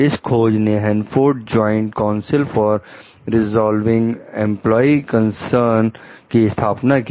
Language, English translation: Hindi, This finding led to the formation of the Hanford Joint Council for Resolving Employee Concerns